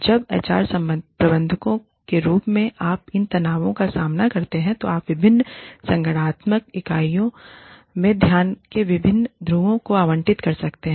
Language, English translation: Hindi, When, as HR managers, you face these tensions, what you can do is, allocate different poles of attention, across different organizational units